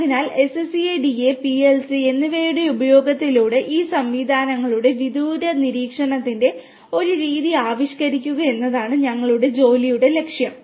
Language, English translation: Malayalam, So, the aim of our work is to devise a methodology of a remote monitoring of these systems through the use of SCADA and PLC